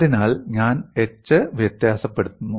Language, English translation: Malayalam, So, I vary the h